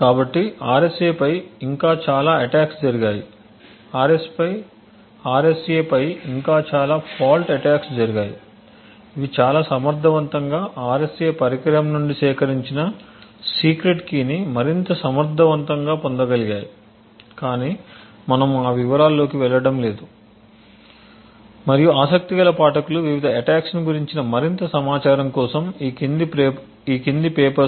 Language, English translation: Telugu, So there have been many further attacks on RSA so many further fault attacks on RSA which have been much more efficient and which were able to more efficiently get the secret key extracted from the RSA device but we will not go into those details and I would leave it to the interested readers to actually look at the papers that follow this and look at the various attacks